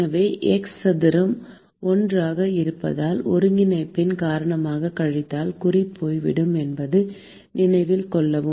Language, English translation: Tamil, So, note that because it is 1 by x square, the minus sign will go away because of the integration